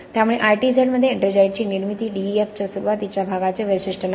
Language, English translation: Marathi, So this formation of ettringite in ITZ is not a feature of the initial part of DEF